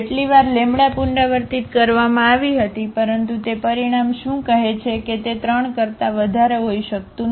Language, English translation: Gujarati, As many times as the lambda was repeated, but what that result says that it cannot be more than 3